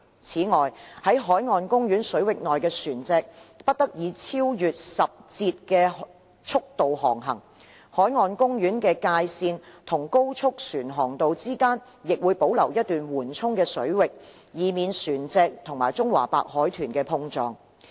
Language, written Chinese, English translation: Cantonese, 此外，在海岸公園水域內的船隻不得以超越10節的速度航行。海岸公園的界線與高速船航道之間亦會保留一段緩衝水域，以避免船隻與中華白海豚碰撞。, Moreover no person shall operate a vessel at a speed exceeding 10 knots inside BMP and a buffer will be maintained between the BMP boundary and the fairways of high speed crafts so as to minimize collision of vessels with CWDs